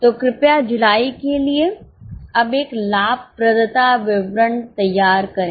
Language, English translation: Hindi, So, please make a profitability statement for July now